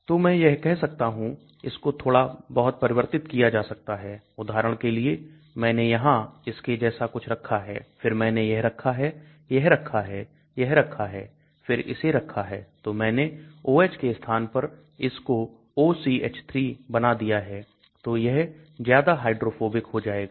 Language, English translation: Hindi, So I can say modify a little bit for example; I then I have put something like this, and then I have put this, then I put this, then I put this, then maybe I put this, so I have instead of OH I made it into a OCH3 so it will become more hydrophobic